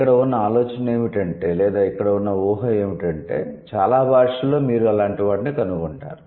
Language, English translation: Telugu, So, the idea here is that or the assumption here is that in most of the languages you would find things like that